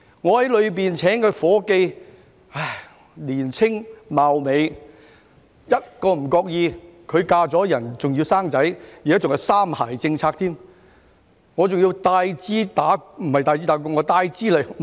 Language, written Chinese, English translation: Cantonese, 我在內地聘請了一名年青貌美的夥計，嫁人後便生孩子，而且現在還是"三孩政策"，我要付 double 開支給她。, I hired a beautiful young woman in the Mainland and she subsequently got married and has children . Under the three - child policy of China she costs me double